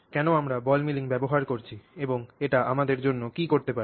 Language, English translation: Bengali, So, why are we using ball milling and what can it accomplish for us